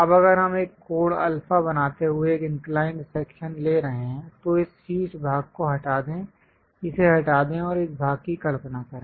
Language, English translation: Hindi, Now if we are taking an inclined section making an angle alpha, remove this top portion, remove it and visualize this part